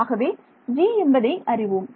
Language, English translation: Tamil, So, I know this g